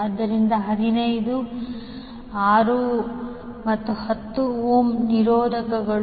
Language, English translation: Kannada, So 15, 6 ohm and 10 ohm are the resistors